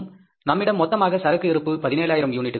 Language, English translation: Tamil, Total stock available with us was 17,000 units